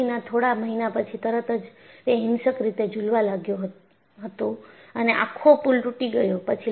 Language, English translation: Gujarati, After a few months of operation, it violently vibrated and the whole bridge collapsed